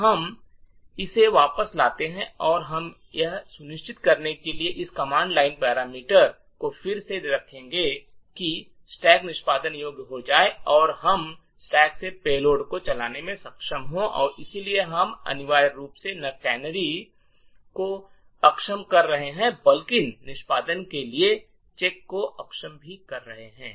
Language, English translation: Hindi, So let us get this back and we will put this command line parameter again to ensure that the stack becomes executable and we are able to run a payload from the stack and therefore we are essentially disabling not just the canaries but also disabling the check for execution from the stack